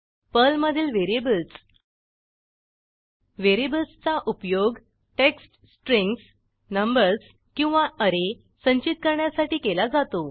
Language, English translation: Marathi, Variables in Perl: Variables are used for storing values, like text strings, numbers or arrays